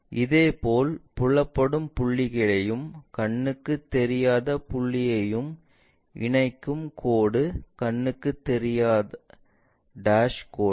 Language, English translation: Tamil, Similarly, any line connecting a visible point and an invisible point is a dash invisible line